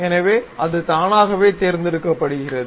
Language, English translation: Tamil, So, it is automatically selected